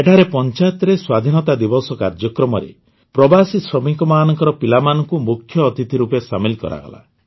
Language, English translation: Odia, Here the children of migrant laborers were included as chief guests in the Independence Day Programme of the Panchayat